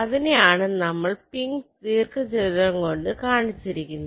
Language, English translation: Malayalam, so these two parts is shown by these two pink rectangles